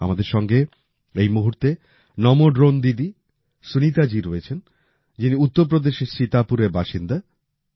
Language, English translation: Bengali, Namo Drone Didi Sunita ji, who's from Sitapur, Uttar Pradesh, is at the moment connected with us